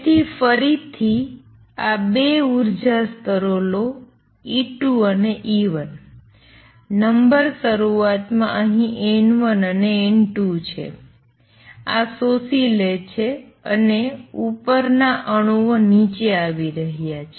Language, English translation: Gujarati, So, again take these 2 energy levels E 2 and E 1 the number initially is N 1 here and N 2 here these are absorbing and going up the upper atoms are coming down